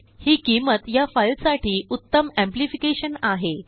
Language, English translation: Marathi, This value is optimal amplification for this file